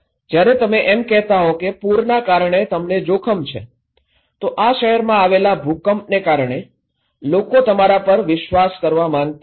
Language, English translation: Gujarati, When you are saying that you are at risk because of the flood, because of the earthquake in this city, people do not want to believe you